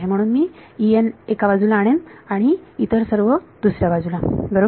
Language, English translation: Marathi, So, I will bring E n to one side and everything else to the other side right